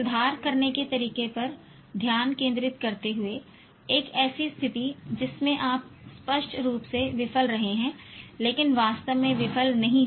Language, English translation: Hindi, Focusing on how to improve a situation in which you have apparently failed but not actually failed